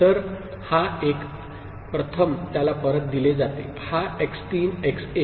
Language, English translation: Marathi, So, this one this one, first one it is fed back, this x 3 x 1